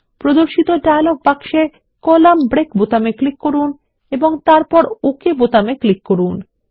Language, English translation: Bengali, In the dialog box which appears, click on the Column break button and then click on the OK button